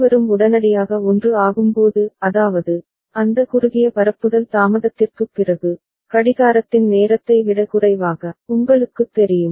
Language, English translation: Tamil, And when both of them are becoming 1 immediately; that means, after that short propagation delay which is much, much you know, less than the time period of the clock ok